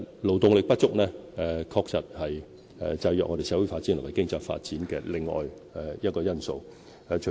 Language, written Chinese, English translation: Cantonese, 勞動力不足，確實是制約香港社會發展和經濟發展的另一個因素。, Insufficient labour supply is indeed another factor constraining Hong Kongs social and economic developments